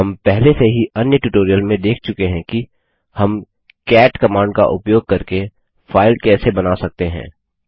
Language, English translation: Hindi, We have already seen in another tutorial how we can create a file using the cat command